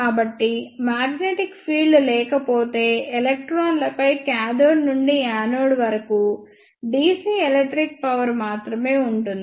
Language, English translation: Telugu, So, if there is no magnetic field then there will be only dc electric force from cathode to anode on electrons